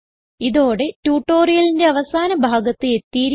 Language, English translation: Malayalam, We have come to the end of this tutorial